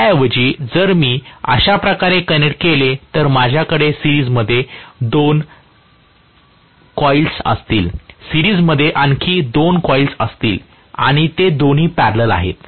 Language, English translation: Marathi, Rather than this, if I connect it in such a way that I am going to have 2 coils in series, 2 more coils in series and both of them are in parallel